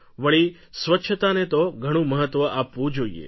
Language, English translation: Gujarati, And cleanliness should be given great importance